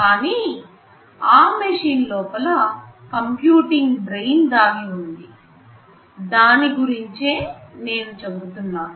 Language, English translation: Telugu, But inside those machines there is some computing brain hidden, that is what I am referring to as this hidden thing